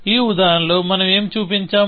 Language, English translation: Telugu, What we have shown in this example